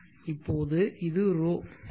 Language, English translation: Tamil, So now this